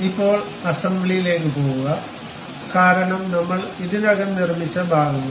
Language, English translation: Malayalam, Now, go for assembly, because parts we have already constructed